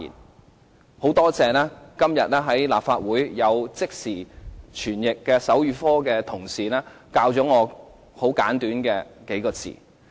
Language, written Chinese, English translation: Cantonese, 我十分感謝今天在立法會的手語即時傳譯同事教授我很簡短的幾個字。, I am deeply grateful to the simultaneous sign language interpreters of the Legislative Council today for teaching me these simple words in sign language